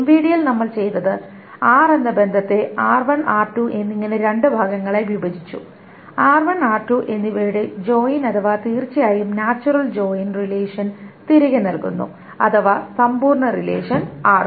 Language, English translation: Malayalam, In the MVD what we did is that we broke up the relation R into two parts, R1 and R2, such that the join of R1 and R2, the natural join of course gives back the relation, the complete relation R